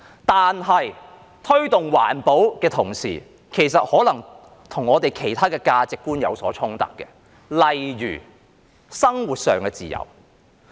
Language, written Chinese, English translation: Cantonese, 但是，在推動環保的同時，卻可能與我們其他的價值觀有所衝突，例如生活上的自由。, However the promotion of environmental protection may be at the same time in conflict with our other values such as freedoms in our lives